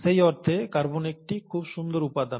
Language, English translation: Bengali, So in that sense, carbon seems to be a very nice element